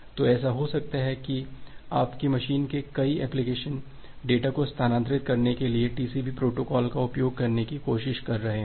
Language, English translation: Hindi, So it may happen that multiple applications in your machine are trying to use the TCP protocol to transfer the data